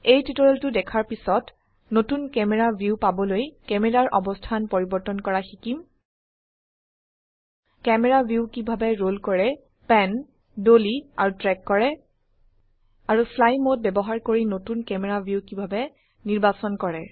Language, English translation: Assamese, After watching this tutorial, we shall learn how to change the location of the camera to get a new camera view how to roll, pan, dolly and track the camera view and how to select a new camera view using the fly mode